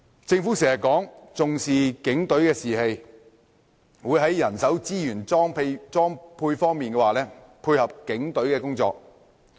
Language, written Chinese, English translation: Cantonese, 政府時常說重視警隊士氣，會在人手資源裝備方面配合警隊工作。, The Government always says it takes the morale of the Police seriously and will provide them with the necessary manpower and resources to facilitate their work